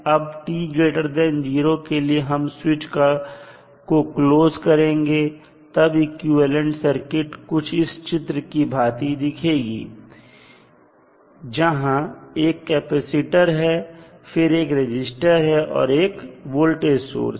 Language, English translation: Hindi, So, what will happen in that case if you close the switch the equivalent circuit will look like as shown in the figure where you have a capacitor connected then you have the resistance and again one voltage source